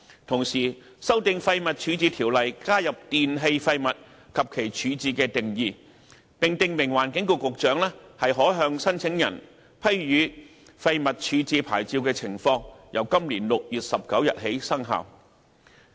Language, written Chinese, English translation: Cantonese, 同時，修訂《廢物處置條例》，加入"電器廢物"及其"處置"的定義，並訂明環境局局長可向申請人批予廢物處置牌照的情況，由今年6月19日起生效。, Meanwhile amendments to WDO to add the definitions of e - waste and disposal were made and the circumstances under which the Secretary for the Environment can grant a waste disposal licence to an applicant were prescribed which have commenced operation on 19 June of this year